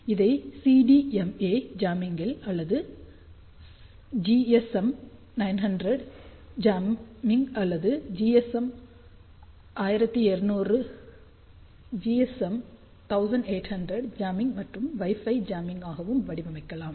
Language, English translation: Tamil, So, we designed it for CDMA jamming or you can say GSM 900 jamming or even GSM 800 jamming even Wi Fi jamming also